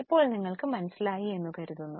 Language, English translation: Malayalam, Now you can I think understand it better